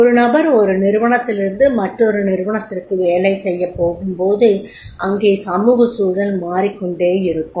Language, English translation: Tamil, It is very important when a person works from the one organization to the another organization, the social environment keeps on changing